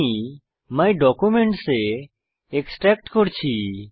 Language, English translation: Bengali, I am extracting to My Documents